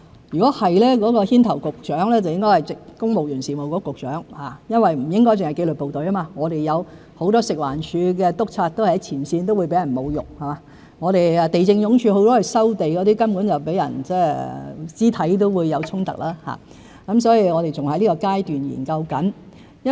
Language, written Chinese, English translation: Cantonese, 如果是，牽頭的局長應該是公務員事務局局長，因為不應只是紀律部隊，很多食物環境衞生署的督察也在前線，也會被侮辱；地政總署負責收地的同事甚至會遇到肢體衝突，所以我們還在研究階段中。, If so the Director of Bureau in charge should be the Secretary for the Civil Service because in addition to the disciplined services many inspectors of the Food and Environmental Hygiene Department working on the front line may also be subject to insults . The colleagues in the Lands Department responsible for land resumption may even encounter physical confrontations . Therefore we are still conducting studies